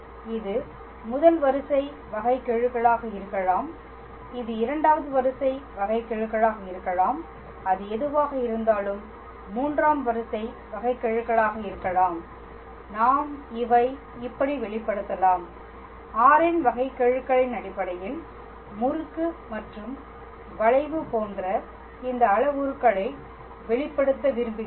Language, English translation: Tamil, And it could be first order derivative, it could be second order derivative, it could be third order derivative whatever it is, we just want to express these parameters like torsion and curvature in terms of the derivative of r we do not want to go to these dt ds db ds